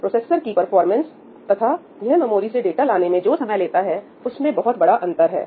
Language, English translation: Hindi, so, there is a huge gap between the performance of the processor and the time it takes to get data from the memory